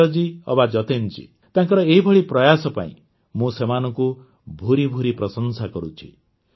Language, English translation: Odia, Be it Sanjay ji or Jatin ji, I especially appreciate them for their myriad such efforts